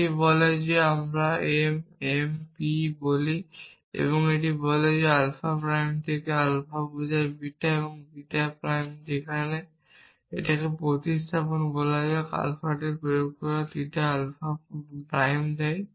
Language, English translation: Bengali, It says that let us say m, m p and it says that from alpha prime and alpha implies beta, beta prime where, a substitution let us say theta applied to alpha gives alpha prime